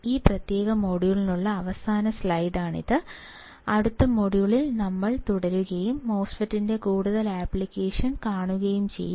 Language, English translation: Malayalam, So, this is the last slide for this particular module and we will continue in the next module and see the further application of the MOSFET